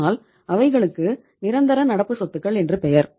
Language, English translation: Tamil, You can call them as the real current assets also